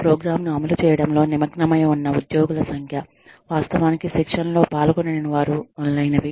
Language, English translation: Telugu, The number of employees, that are engaged in running the program, who do not actually participate in the training, etcetera